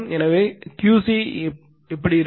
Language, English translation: Tamil, So, what will be Q c